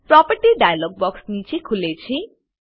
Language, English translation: Gujarati, The property dialog box opens below